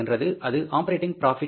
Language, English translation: Tamil, This is called as operating profit